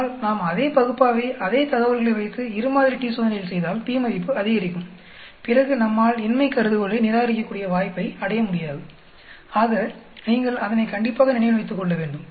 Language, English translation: Tamil, Whereas when we do the same analyze the same data set with two sample t Test, the p value increases then we will not have the chance to reject the null hypothesis, so you should keep that in mind